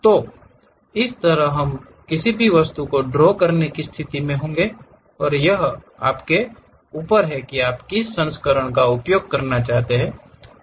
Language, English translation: Hindi, So, on this we will be in a position to draw any object and it is up to you which version you would like to use